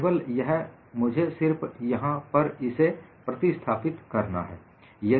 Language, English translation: Hindi, Only that, I will have to substitute it here